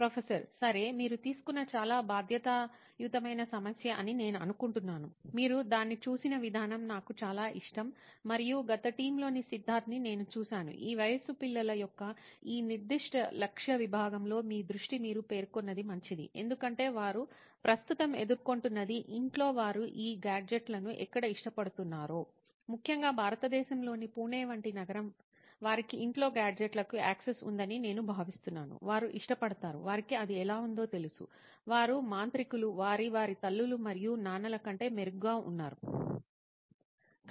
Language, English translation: Telugu, Okay, I think what you have taken is a very responsible sort of problem, I really like the way you looked at it and I have seen you Siddharth from the past entire team is that your focus on these specific target segment of children in the age that you mentioned is good, because I think what they are currently facing right now is the cusp of where at home they like these gadgets, particularly city like Pune in India, I think they have access to gadgets at home, they like it, they know how it is, they are wizard they are in fact better than their moms and dads